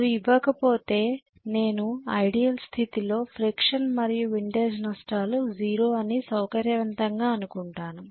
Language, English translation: Telugu, If those are not given I would conveniently assume that it is ideal condition friction and windage losses are 0 if they are not given, got it